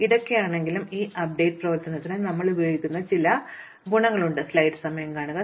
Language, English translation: Malayalam, But, in spite of this, this update operation has some useful properties which we can exploit